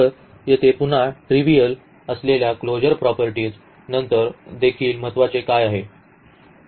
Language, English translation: Marathi, So, again what is also important the closure properties which are again trivial here